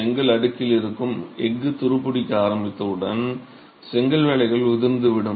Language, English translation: Tamil, Once the steel that's present in the brick slab starts corroding, the brickwork starts spalling